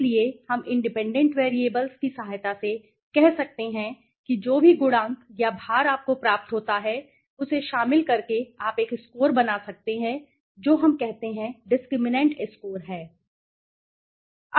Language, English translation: Hindi, So, we can say with the help of the independent variables with the help of independent variable whatever coefficients or weights you get by including that you can create a score which we say that discriminant score the score